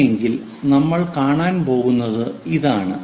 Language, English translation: Malayalam, If that is the case what we are going to see is this one